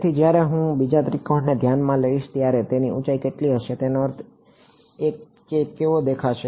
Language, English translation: Gujarati, So, when I consider the second triangle what will be the height of I mean what will it look like